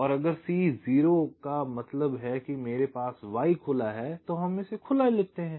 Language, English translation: Hindi, so so if c is zero means i have y equal to open